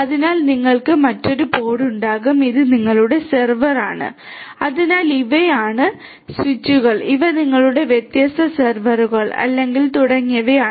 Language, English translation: Malayalam, So, you will have another pod and these are your server so these are the, these are, these are the switches and these are your different servers or computers etcetera